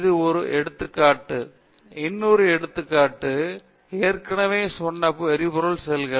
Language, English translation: Tamil, This is only one example, another example is as you have already said is fuel cells